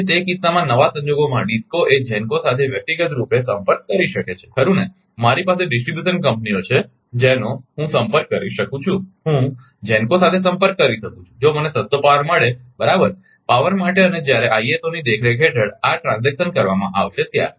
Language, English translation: Gujarati, So, in that case in the new scenario a DISCO can contact individually with GENCO right, I I have I have a distribution companies I can contact I can contact with GENCO that, if I get a cheapest power right ah for power and this transaction will be made when the under the supervision of ISO